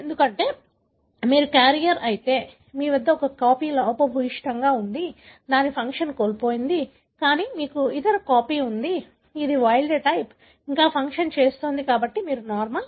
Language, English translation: Telugu, Because, if you are a carrier, you have one copy which is defective, lost its function, but you have other copy which is wild type, still doing a function, therefore you are normal